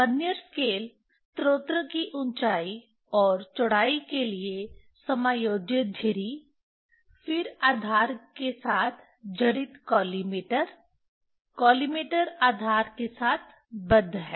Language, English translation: Hindi, Vernier scale, adjustable slit for height and width for the source, then collimator fixed with base, base stands on